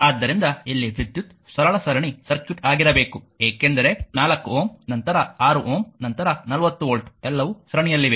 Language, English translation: Kannada, So, question is that here we have to be current is simple series circuit, because 4 ohm, then 6 ohm, then 40 volt all are ah in series